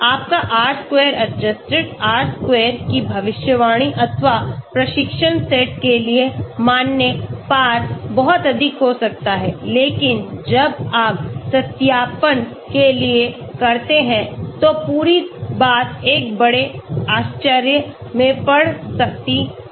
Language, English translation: Hindi, Your r square adjusted, r square predicted or cross validated for the training set may be very high but when you do for the validation the whole thing could be in a big surprise